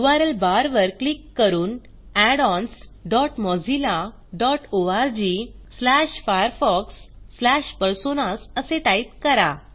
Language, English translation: Marathi, Click on the URL bar and type addons dot mozilla dot org slash firefox slash personas Press Enter